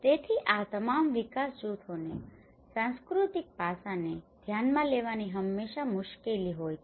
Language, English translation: Gujarati, So, there is always a difficulty for all these development groups to address the cultural aspect